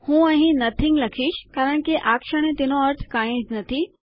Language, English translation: Gujarati, Ill just write here nothing because at the moment it means nothing